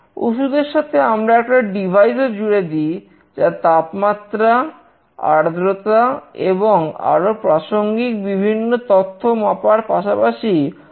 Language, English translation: Bengali, Along with a medicine, we attach some device that will sense the temperature, humidity, and other relevant information along with its location as well